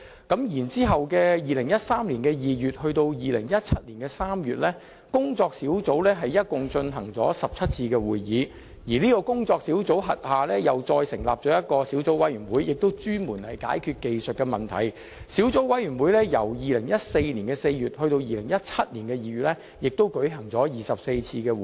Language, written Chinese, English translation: Cantonese, 其後，在2013年2月至2017年3月，有關的工作小組共進行了17次會議，並在其轄下成立小組委員會，專門解決技術問題，而小組委員會在2014年4月至2017年2月間亦舉行了24次會議。, Subsequently the working group concerned held a total of 17 meetings between February 2013 and March 2017 . The working group also set up a subcommittee with sole responsibility for sorting out various technical problems . This subcommittee convened 24 meetings between April 2014 and February 2017